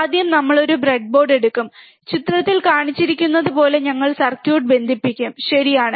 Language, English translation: Malayalam, First thing is we will take a breadboard and we will connect the circuit as shown in figure, right